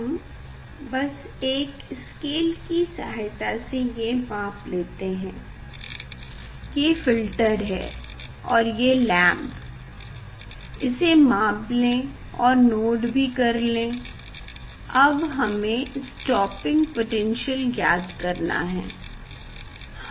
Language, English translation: Hindi, we just take a scale and measure it This is the filter, and this is the phasal, just measure that you can note down that one now we have to determine the stopping potential